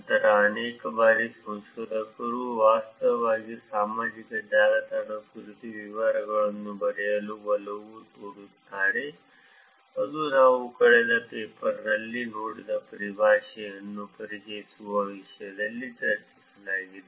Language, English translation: Kannada, Then many a times researchers actually tend to write details about the social network that is being discussed in terms of just introducing the terminologies which we saw in the last paper also